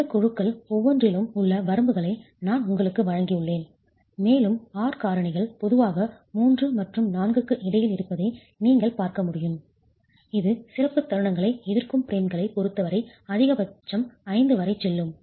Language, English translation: Tamil, I have just given you the ranges within each of these groups and you can see that the R factors are typically between 3 and 4 going to a maximum of 5 as far as the special moment resisting frames are concerned, so on